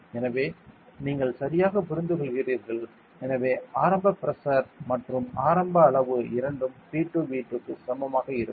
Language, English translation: Tamil, So, you understand that right, so initial pressure and initial volume the product of those two will be equal to P 2 V 2 will be is equal to a constant a correct